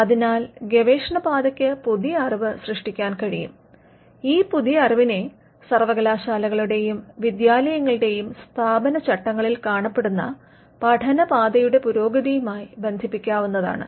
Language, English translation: Malayalam, So, the research path could create new knowledge and this new knowledge is what we can tie to the advancement of learning path that we normally find in statutes establishing universities and educational institutions